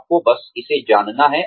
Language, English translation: Hindi, You just have to know it